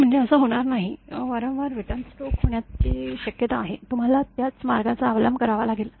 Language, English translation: Marathi, I mean will not this happen; there is a possibility that there will be repeated return stroke, you have to follow the same path